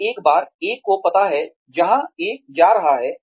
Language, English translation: Hindi, So, once one knows, where one is going